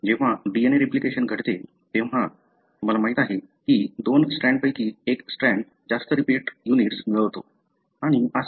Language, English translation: Marathi, When the DNA replication takes place, somehow, you know, one of the two strands gain more repeat units and so on